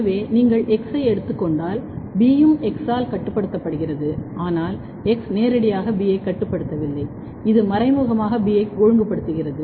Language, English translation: Tamil, So, if you take X with respect to X, B is also regulated by X, but X is not directly regulating B, it is indirectly regulating B